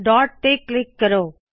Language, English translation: Punjabi, Click at the dot